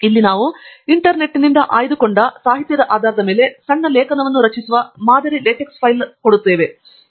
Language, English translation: Kannada, Here is a sample LaTeX file that I have generated to make a small article based upon this literature that we have picked up from the Internet